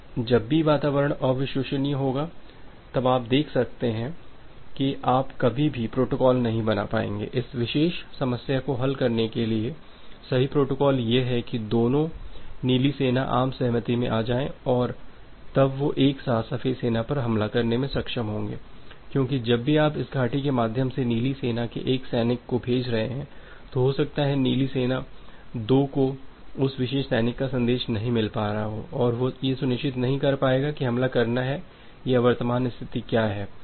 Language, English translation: Hindi, Now, whenever the environment is unreliable you can see that you will never be able to make a protocol, correct protocol to solve this particular problem that both the blue army will come into consensus and they will be able to attack the white army simultaneously because whenever you are you are sending one soldier of blue army via this valley, blue army 2 is may not get that particular soldier, message from that particular soldier and they will not be able to sure that whether to make an attack or what is the current condition